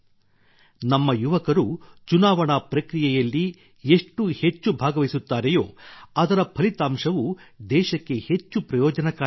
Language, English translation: Kannada, The more our youth participate in the electoral process, the more beneficial its results will be for the country